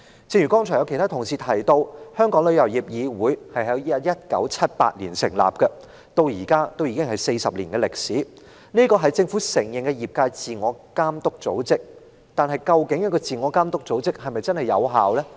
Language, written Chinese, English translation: Cantonese, 正如剛才其他同事提及，旅議會在1978年成立，至今已有40年歷史，是政府承認的業界自我監督組織，但這個自我監督組織是否真正有效呢？, As mentioned by other Members 40 years have passed since TICs establishment in 1978 as a self - regulatory organization for the industry recognized by the Administration . However is this self - regulatory organization really effective?